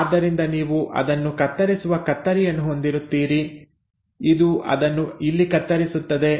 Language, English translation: Kannada, So you will have a scissor cutting it here, you will have a scissor which will cut it here